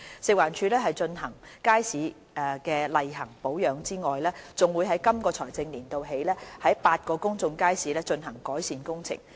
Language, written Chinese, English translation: Cantonese, 食環署除進行街市的例行保養外，還會在今個財政年度起，於8個公眾街市進行改善工程。, In addition to regular maintenance and daily management of markets FEHD will carry out improvement works in eight public markets in this financial year